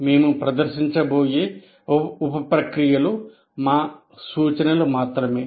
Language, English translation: Telugu, The sub processes we are going to present are our suggestions